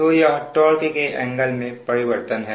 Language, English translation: Hindi, so this is the change in torque angle